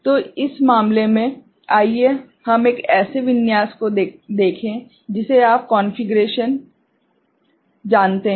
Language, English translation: Hindi, So, in this case, so let us look at one such you know configuration right